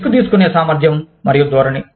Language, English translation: Telugu, Risk taking ability and orientation